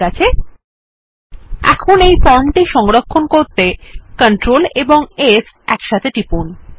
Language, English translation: Bengali, Okay, now, let us save our form, by pressing Control S And then we will close the form window